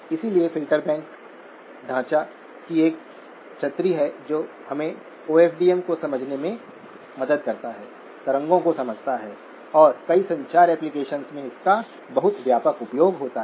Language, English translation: Hindi, So filter banks is an umbrella of framework which helps us understand OFDM, understands wavelets and it has a very extensive use in a number of communication applications